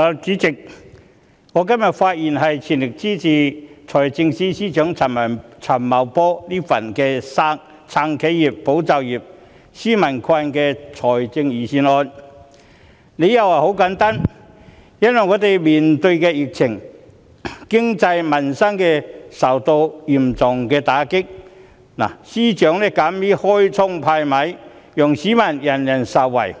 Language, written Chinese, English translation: Cantonese, 主席，我今天發言全力支持財政司司長陳茂波"撐企業、保就業、紓民困"的財政預算案，理由十分簡單，就是當我們面對疫情，經濟民生受到嚴重打擊，司長敢於"開倉派米"，讓所有市民受惠。, President I speak today to express my full support for the Budget of Financial Secretary Paul CHAN to support enterprises safeguard jobs and relieve peoples burden . My reason is very simple . When our economy and peoples livelihood are hard hit by the epidemic the Financial Secretary has acted boldly by providing relief measures to benefit all members of the public